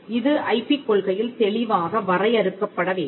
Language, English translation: Tamil, So, this has to come out clearly in the IP policy